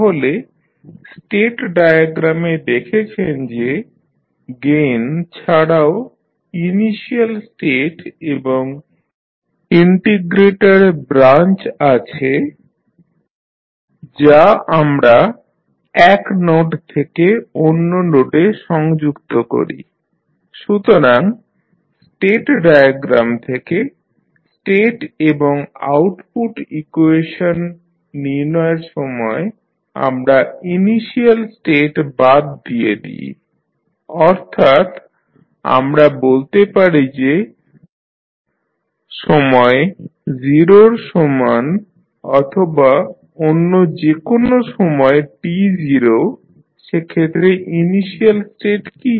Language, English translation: Bengali, So, in the state diagram you have seen that there are initial states and integrator branches in addition to the gains, which we connect from one node to other node, so when we derive the state and the output equation from the state diagram, we first delete the initial states that is we say like time t is equal to 0 or may be any other time, say t naught what are the initial states